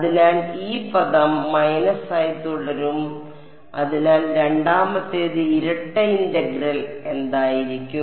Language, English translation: Malayalam, So, this term will remain as it is minus so the second the double integral will become a what integral